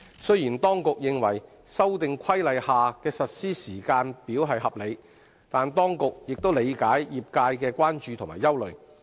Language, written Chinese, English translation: Cantonese, 雖然當局認為《修訂規例》下的實施時間表合理，但當局亦理解業界的關注和憂慮。, While the Administration considers the implementation schedule under the Amendment Regulation is reasonable it understands the concerns and worries of the trades